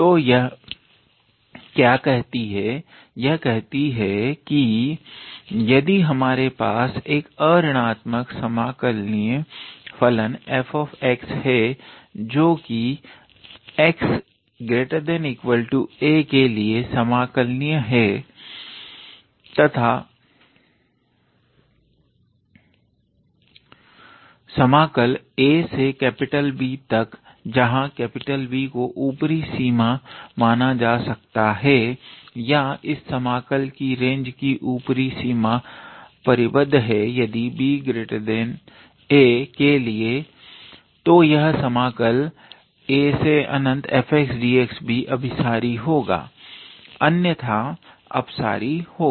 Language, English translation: Hindi, So, what it says is that if we have a non negative function f x which is integrable for x greater than or equal to a, and integral from a to B where capital B can be treated as the upper limit or upper limit of this range of integration is bounded then for every B greater than a then this integral from a to infinity will also converge, otherwise it will diverge